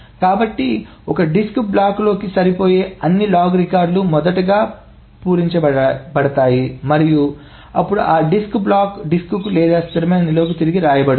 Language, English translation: Telugu, So all the wrong records that fit into one disk block is first filled up and then the disk block is written back to the disk or the stable storage